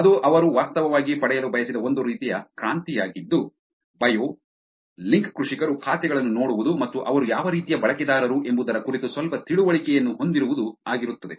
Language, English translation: Kannada, That is a kind of revolution that they wanted to actually get which is to look at the bio, the accounts of link farmers and have some understanding of what kind of users these are